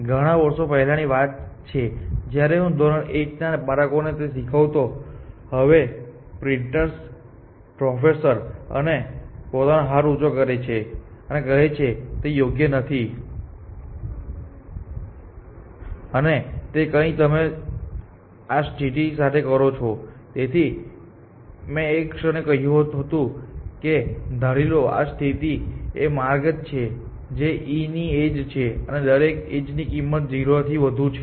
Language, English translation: Gujarati, So, as it turns out this was many years ago, when I was teaching the same very point in the class 1 of the students in the class, he is now professor in Princeton raises hand, and said this is not correct; and it something you do with this condition that is why i said for the moment let us assume this this condition is the paths the edge of e, the cost of each edge is greater than 0